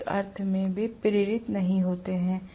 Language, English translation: Hindi, In one sense, they are not induced